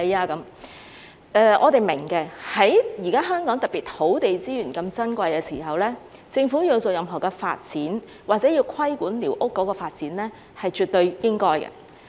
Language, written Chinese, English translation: Cantonese, 這方面的論據，我們是明白的，特別是現時香港土地資源那麼珍貴的時候，政府要進行任何發展，或者要規管寮屋的發展，是絕對應該的。, We understand this aspect of arguments especially when the current land resources of Hong Kong are so precious and it is absolutely right for the Government to conduct any kind of development or regulate the development of squatter structures